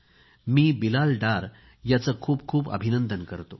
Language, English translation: Marathi, I congratulate Bilal Dar